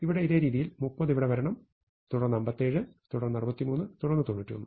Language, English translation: Malayalam, The same way here 30 should come here, then 57, then 63, and then 91